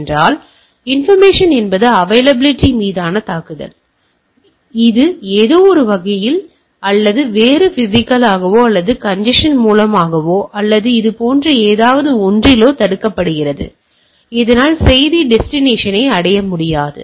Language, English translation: Tamil, So, interruption is the attack on availability right; so it is blocked some way or other, either physically or through congestion or something that so that message cannot reach to the destination